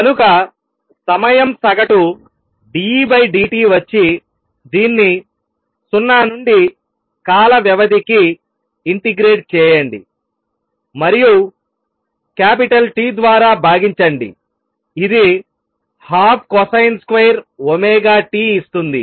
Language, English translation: Telugu, So, time averaged d E d t which is nothing but integrate this from 0 to time period and divided by T gives you a half for cosine square omega T